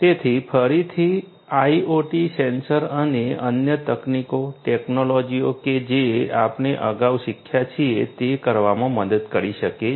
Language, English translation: Gujarati, So, again our IoT sensors and other techniques technologies that we have learnt previously could help us in doing